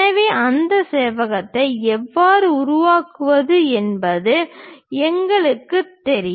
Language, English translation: Tamil, So, we know how to construct that rectangle construct that